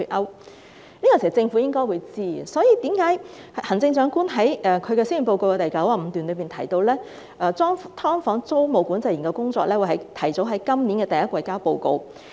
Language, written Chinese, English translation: Cantonese, 這個問題，政府應該知道，所以行政長官在施政報告第95段中提到，"劏房"租務管制研究工作小組會提早於今年第一季呈交報告。, The Government should be aware of this problem . That is why the Chief Executive mentioned in paragraph 95 of the Policy Address that the Task Force for the Study on Tenancy Control of Subdivided Units will submit its report in the first quarter of this year ahead of schedule